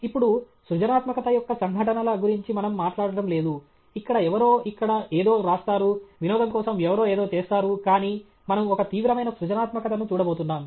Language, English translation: Telugu, Now, we are not talking about those instances of creativity where somebody writes something here, somebody for fun does something, but we are looking at some serious creativity